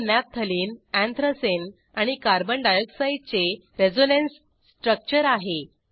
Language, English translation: Marathi, These are the resonance structures of Naphthalene, Anthracene and Carbon dioxide